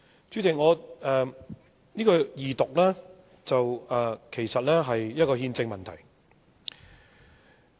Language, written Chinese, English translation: Cantonese, 這項二讀議案其實是一項憲政問題。, This motion on Second Reading is actually a constitutional issue